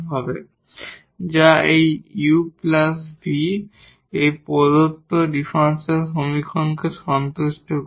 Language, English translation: Bengali, So, this u plus v is the general solution of the given differential equation